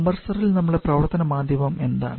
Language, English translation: Malayalam, Now in the compressor what is the working medium